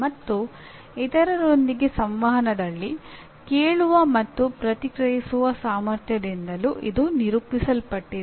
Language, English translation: Kannada, And it also demonstrated by ability to listen and respond in interactions with others